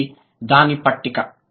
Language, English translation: Telugu, So, this is the table